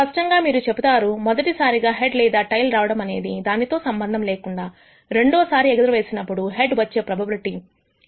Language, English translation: Telugu, Clearly you will say well does not matter whether the first toss was a head or a tail the probability of head occurring as the second toss is still 0